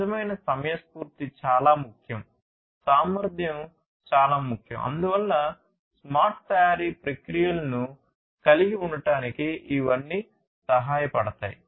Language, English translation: Telugu, Real timeliness is very important, efficiency is very important; so all of these help in having smart manufacturing processes